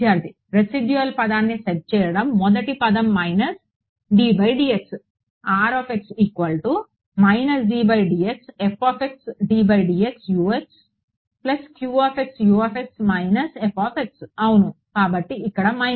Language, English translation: Telugu, Setting the residual term the first term was minus d by dx Yeah So, the minus is here